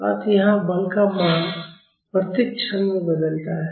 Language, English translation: Hindi, So, here the value of force changes at each instant